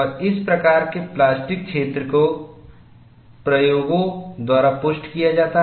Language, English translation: Hindi, And this type of plastic zone is corroborated by experiments